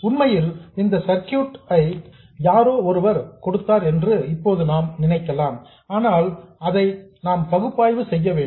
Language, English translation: Tamil, In fact, we can kind of now assume that somebody gave us this circuit and we have to analyze it